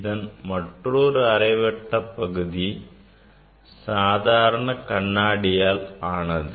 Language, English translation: Tamil, And, other half other semicircle is made of simple glass